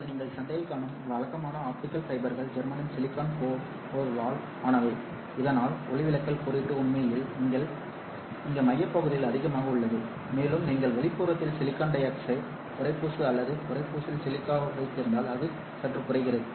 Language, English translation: Tamil, Now typical optical fibers that you find in market are made up of germanium silicon core, so that the refractive index is actually higher here in the core region and it reduces slightly if you had silicon dioxide cladding at the outer end or silica at the cladding